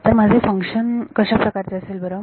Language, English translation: Marathi, So, what is my function going to be like